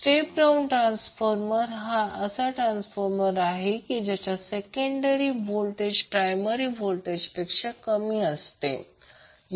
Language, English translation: Marathi, Step down transformer is the one whose secondary voltages is less than the primary voltage